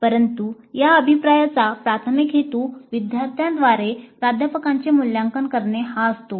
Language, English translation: Marathi, But the primary purpose of this feedback is faculty evaluation by the students